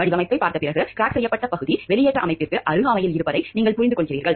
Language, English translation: Tamil, After looking at the design, you realize that the cracked portion is in proximity to the exhaust system